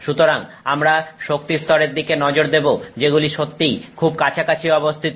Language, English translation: Bengali, So, we are looking at energy levels are very closely spaced